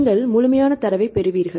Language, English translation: Tamil, Then you get the complete data